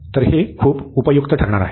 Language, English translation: Marathi, So, this is going to be very useful